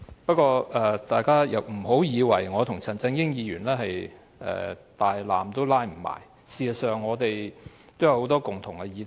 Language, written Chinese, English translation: Cantonese, 不過，大家不要以為我與陳議員互不相干，事實上，我們有很多共同議題。, However this is not to say we have nothing to do with each other . In fact there are many issues that pull both of us together